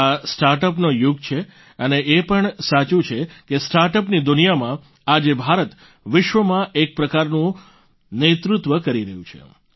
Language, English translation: Gujarati, It is true, this is the era of startup, and it is also true that in the world of startup, India is leading in a way in the world today